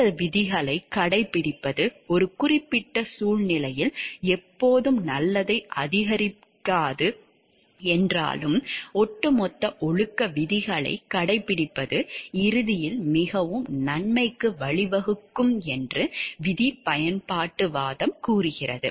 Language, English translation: Tamil, Rule utilitarianism hold that although adhering to these rules might not always maximize good in a particular situation, overall adhering to moral rules will ultimately lead to most good